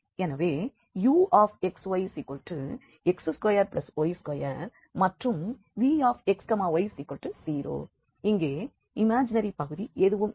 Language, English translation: Tamil, So, uxy is x square plus y square and vxy is naturally 0 here there is no imaginary part